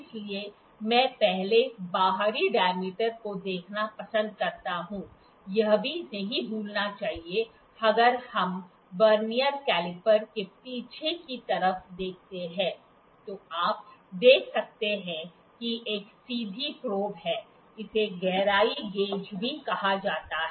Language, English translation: Hindi, So, I like to first see the external dia, also not to forget, if we see the back side of the Vernier caliper, you can see there is a straight probe; this is this can also be known as depth gauge